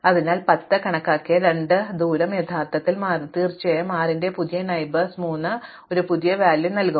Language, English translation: Malayalam, So, the distances two which was already computed to 10 will actually shift, in addition to that of course, because we have new neighbors of 6 was 6 will now give us a new value for 3 and so on